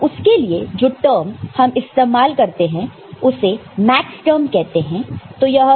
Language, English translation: Hindi, So, for that the term that was that are used are called Maxterm ok